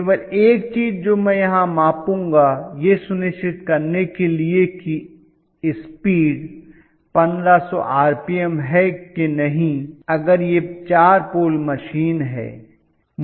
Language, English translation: Hindi, Only thing what I will measure here, is to make sure that the speed is 1500 rpm if it is a 4 pole machine